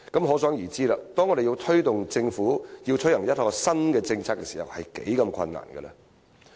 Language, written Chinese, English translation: Cantonese, 可想而知，當我們要推動政府推行一項新政策時是多麼困難。, This goes to show how difficult it is for us to press the Government to introduce a new policy